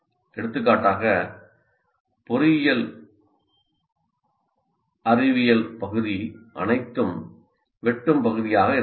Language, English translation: Tamil, For example, all of engineering science part can be brought here